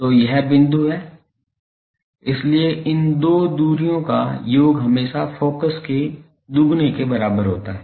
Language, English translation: Hindi, So, this is the point so, sum of these two distances is always equal to twice of the focus